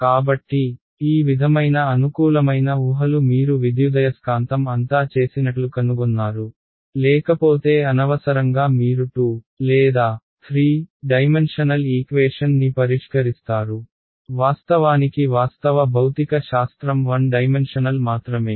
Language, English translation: Telugu, So, these kind of convenient assumptions you will find made throughout the electromagnetics otherwise unnecessarily you will be solving a 2 or 3 dimensional equation; when actually the actual physics is only 1 dimensional